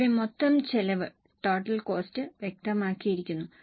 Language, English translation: Malayalam, Here the total cost is specified